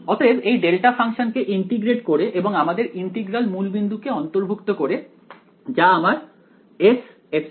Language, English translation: Bengali, So, integrating the delta function and our integral is including the origin over here that is my S epsilon right